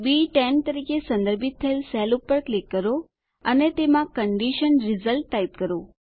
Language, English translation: Gujarati, Lets click on the cell referenced as B10 and type Condition Result inside it